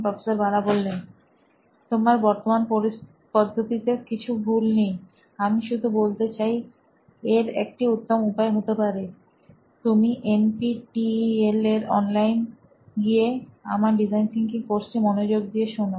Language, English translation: Bengali, There is nothing wrong with your current way, just saying that there is a better way, why do not you go online on NPTEL and listen to my course, it’s on Design Thinking